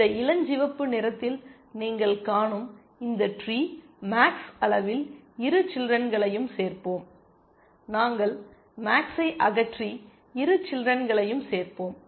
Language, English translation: Tamil, This tree that you see in this pinkish color here at max level we will add both the children, we will remove max and add both the children